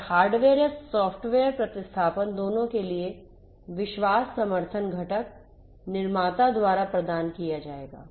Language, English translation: Hindi, And the trust support for both hardware or software replacements will have to be provided by the component builder